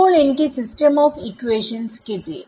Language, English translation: Malayalam, So, I got a system of equations right